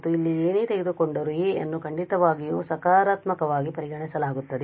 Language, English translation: Kannada, And whatever a we take here a is certainly positively consider